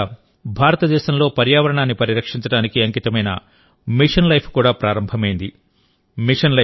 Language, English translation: Telugu, A few days ago, in India, Mission Life dedicated to protect the environment has also been launched